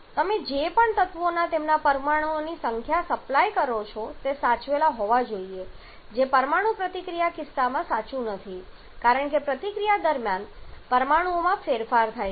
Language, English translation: Gujarati, Whatever elements you are supplying their number of atoms they must be preserved which is also not true in case of chemical sorry in case of nuclear reaction because there are atoms change during the reaction